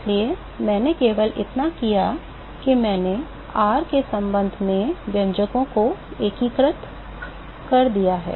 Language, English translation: Hindi, So, all I have done is, I have integrated the expressions with respect to r